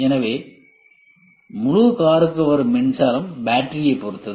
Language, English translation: Tamil, So, the power supply to the entire car depends on the battery